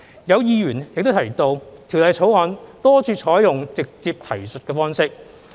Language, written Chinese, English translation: Cantonese, 有議員提及《條例草案》多處採用"直接提述方式"。, Some Members pointed out the adoption of the direct reference approach in many parts of the Bill